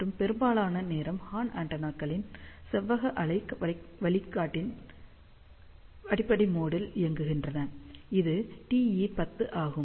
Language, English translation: Tamil, And most of the time horn antennas operate at the fundamental mode of rectangular waveguide, which is TE 10